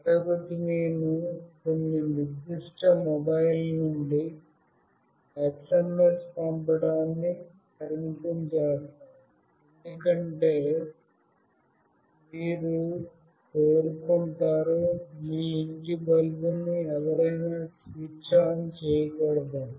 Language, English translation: Telugu, And the other one is I will restrict sending SMS from some particular mobile number, because you will not want anyone to switch on of your home bulb